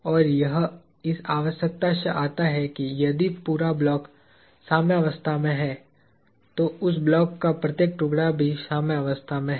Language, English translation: Hindi, And, that comes from the requirement that, if the whole block is in equilibrium, then each piece of that block is also in equilibrium